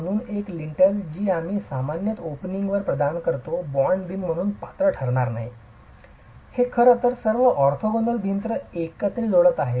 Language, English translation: Marathi, So a single lintel which we typically provide above an opening will not qualify as a bond beam, will not qualify as something that is actually connecting all the orthogonal walls together